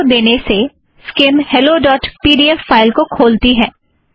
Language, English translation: Hindi, On issuing this command, skim opens the file hello.pdf